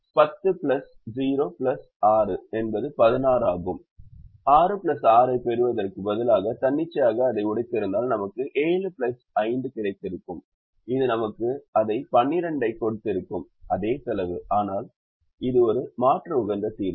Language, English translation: Tamil, if we had broken it arbitrarily, instead of, instead of getting six plus six, we would have got seven plus five, which would have given us the same twelve and the same cost, but an alternate optimum solution